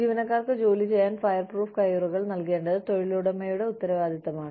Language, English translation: Malayalam, It is the responsibility of the employer, to give the employees, fireproof gloves to work with